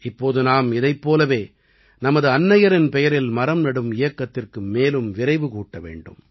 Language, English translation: Tamil, Now we have to lend speed to the campaign of planting trees in the name of mother